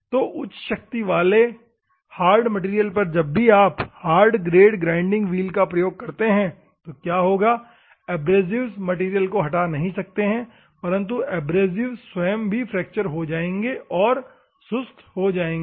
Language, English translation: Hindi, So, during the high strength material hard material a whenever you use the grinding wheel hard grade what will happen, the abrasives cannot remove the material, but abrasives also will, fracture and it will become dull